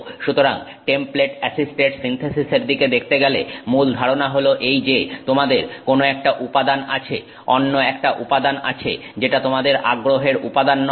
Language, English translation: Bengali, So, to look at template assisted synthesis, the basic idea is that you have some material, another material which is not the material of interest for you